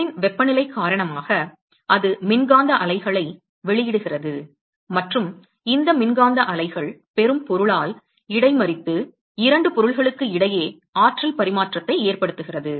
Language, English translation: Tamil, Because of the temperature of the object it emits electromagnetic waves and these electromagnetic waves are intercepted by the receiving object and that causes exchange of energy between 2 objects